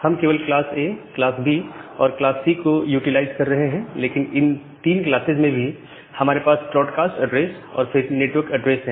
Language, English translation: Hindi, We are only utilizing class A, class B class C, but inside also class this 3 classes we have this broadcast addresses, then this network addresses